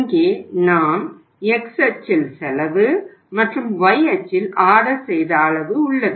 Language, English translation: Tamil, Here we have the cost on the x axis and on the y axis we have the ordering quantity